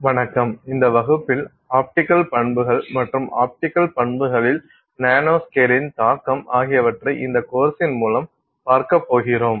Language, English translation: Tamil, Hello, in this class we are going to look at the optical properties and the impact of nanoscale on optical properties